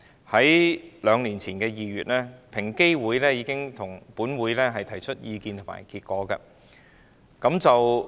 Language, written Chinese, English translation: Cantonese, 在兩年前的2月，平等機會委員會已經向本會提出意見和研究結果。, In February two years ago the Equal Opportunities Commission EOC already submitted views and survey findings to this Council